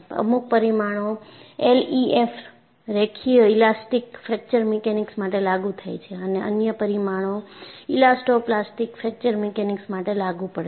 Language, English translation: Gujarati, You know, certain parameters are applicable for LEFM, linear elastic fracture mechanics and the other parameters are applicable for elasto plastic fracture mechanics